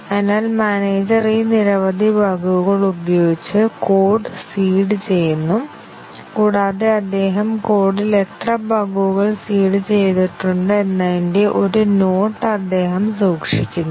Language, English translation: Malayalam, So, the manager seeds the code with this many bugs and he keeps a note of that, how many bugs he has seeded in the code